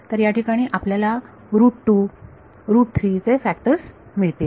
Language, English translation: Marathi, So, here you will find factors of root 2, root 3 etc